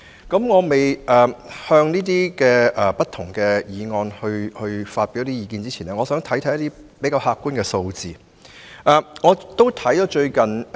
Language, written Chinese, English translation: Cantonese, 在我就不同的議案和修正案發表意見前，我想先看看比較客觀的數字。, Before expressing my views on the motions and amendments I would like to consider objective figures